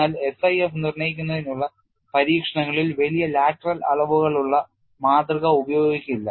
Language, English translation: Malayalam, But in experiments to determine SIF, specimen with large lateral dimensions is not employed